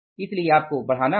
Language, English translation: Hindi, So, you have to upscale that